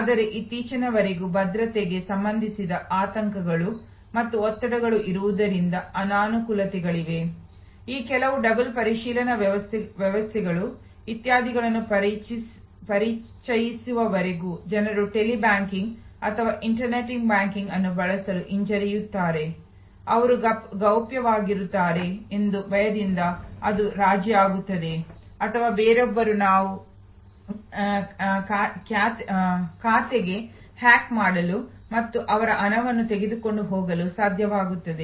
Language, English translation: Kannada, But, there are disadvantages like there are anxieties and stress related to security till very recently, till some of this double verification systems etc were introduced people felt hesitant to use a Tele banking or internet banking, fearing that they are confidential it will become compromised or somebody else we will be able to hack into the account and take away their money and so on